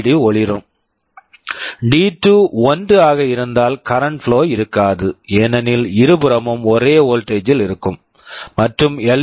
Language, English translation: Tamil, So, whenever D2 is 0, there will be a current flowing and the LED will glow, if D2 is 1, there will be no current flowing because both sides will be at same voltage, and LED will not glow